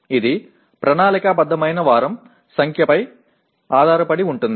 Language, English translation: Telugu, It depends on the number of planned week